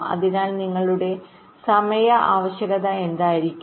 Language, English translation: Malayalam, so what will be the your timing requirement